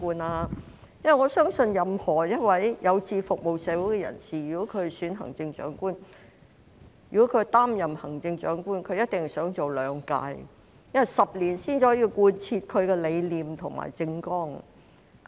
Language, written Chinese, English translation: Cantonese, 我相信任何一位有志服務社會的人士，如果擔任了行政長官，便一定想連任，因為10年才可以貫徹其理念及政綱。, I believe that anyone who aspires to serve the community will definitely wish to be re - elected after assuming office as Chief Executive since it may take 10 years to carry through his belief and manifesto